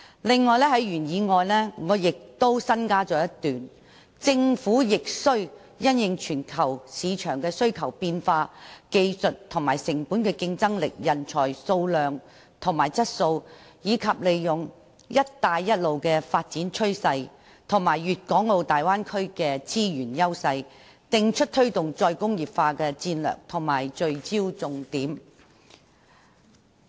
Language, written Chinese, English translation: Cantonese, 此外，我亦在原議案中加入了一段："政府亦須因應全球市場的需求變化、技術和成本競爭力、人才數量和質素，以及利用'一帶一路'的發展趨勢及粵港澳大灣區的資源優勢，訂出推動'再工業化'的戰略及聚焦重點"。, Moreover I have also added a paragraph to the original motion in the light of demand changes in the global market competitiveness in technology and cost quantity and quality of talent and capitalizing on the development trend of One Belt One Road and the resources advantages of the Guangdong - Hong Kong - Macao Bay Area the Government must also formulate strategies and major focuses for promoting re - industrialization